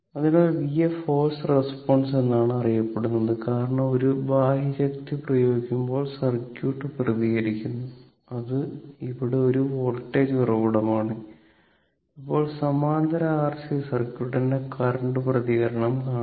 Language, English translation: Malayalam, So, v f is known as the forced response because it is produced by the circuit when the external force is applied that is in this case, it is a voltage source, right now, that current response of parallel RC circuit